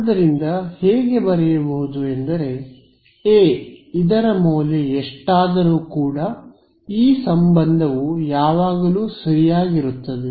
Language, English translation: Kannada, And I do not I mean A could be anything right this relation will always be satisfied